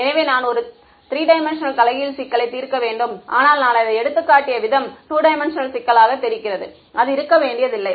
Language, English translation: Tamil, So, then I have to solve a 3D inverse problem, but the way I have shown it for illustration it looks like a 2D problem, it need not be ok